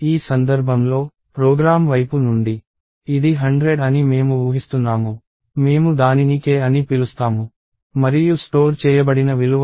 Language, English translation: Telugu, In this case, I am assuming that it is 100 from the program side, we are going to call it k and the value that is stored is 38